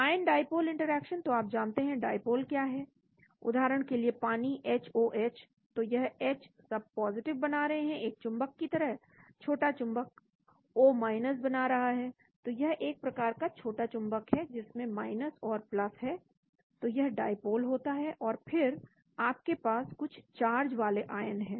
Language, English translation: Hindi, Ion dipole interaction, so you know what is dipole for example, water HOH, so the Hs are all forming + like a magne,t small magnet O is forming , so it is like a small magnet with and +, so that is the dipole and then you have the ion of certain charge